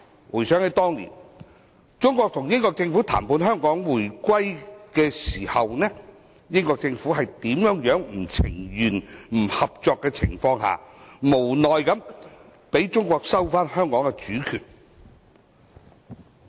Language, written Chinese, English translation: Cantonese, 回想當年，中國與英國政府就香港回歸進行談判的時候，英國政府在不情願、不合作的情況下，無奈地讓中國收回香港主權。, Years ago when the Chinese and British Governments negotiated on the return of Hong Kong to China the British Government had no alternative but allow China to resume sovereignty over Hong Kong reluctantly and uncooperatively